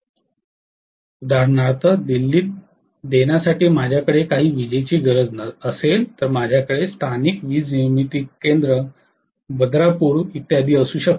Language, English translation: Marathi, So, if I am having some power requirement for exampling in Delhi, I may be I have local power generating stations Badarpur and so on so forth